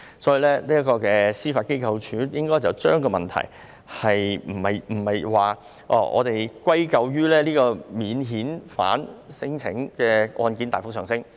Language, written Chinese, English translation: Cantonese, 所以，司法機構不應該將問題歸咎於免遣返聲請案件大幅上升。, Hence the Judiciary should not put the blame on the rapid surge in non - refoulement claims